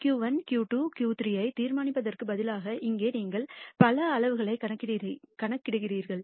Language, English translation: Tamil, Here instead of determining just Q 1, Q 2, Q 3 you compute several quantiles